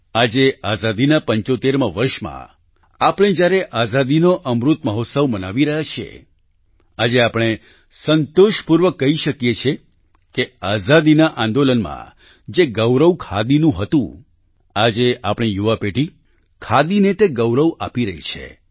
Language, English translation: Gujarati, Today in the 75 th year of freedom when we are celebrating the Amrit Mahotsav of Independence, we can say with satisfaction today that our young generation today is giving khadi the place of pride that khadi had during freedom struggle